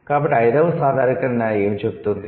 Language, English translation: Telugu, So, what does the fifth generalization says